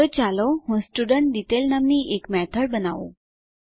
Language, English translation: Gujarati, So let me create a method named StudentDetail